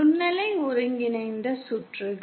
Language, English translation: Tamil, Microwave integrated circuits